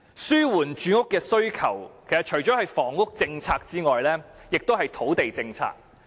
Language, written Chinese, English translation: Cantonese, 滿足住屋需求，不但涉及房屋政策，亦涉及土地政策。, To meet the housing demand of the public not only the housing policy but also the land policy is involved